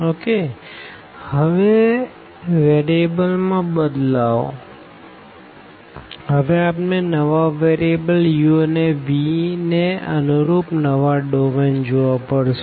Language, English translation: Gujarati, So, now this change of variable; we have to see now the domain the new domain here corresponding to the new variables u and v